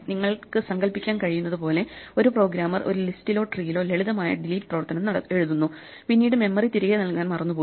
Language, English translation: Malayalam, As you can imagine there might be just a simple case where a programmer writes a delete operation in a tree or a list and forgets to give the memory back